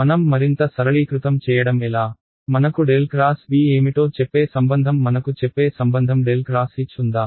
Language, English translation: Telugu, How do I simplify further, do I have a relation that tells me what is del cross B, do I have a relation that tells me del cross H